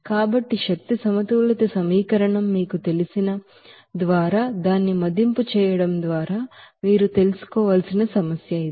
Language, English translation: Telugu, So this is the problem based on which you have to you know assess it by you know energy balance equation